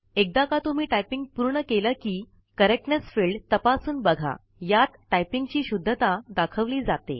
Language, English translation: Marathi, Once we complete typing, we can check the Correctness field.It displays the accuracy of typing